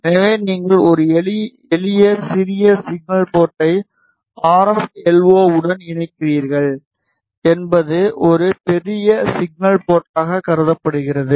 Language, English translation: Tamil, So, you connect a simple small signal port to the RF LO is considered as a large signal port